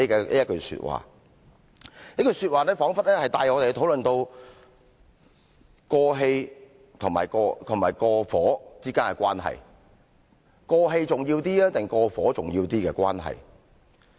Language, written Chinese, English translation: Cantonese, 這一句說話彷彿帶我們討論到"過氣"和"過火"之間的關係；"過氣"重要一點，還是"過火"重要一點的關係？, This argument probably has brought up the discussion about the relationship between over and overdo or the question of importance between over and overdo